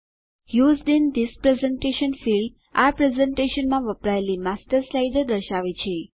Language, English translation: Gujarati, The Used in This Presentation field displays the Master slides used in this presentation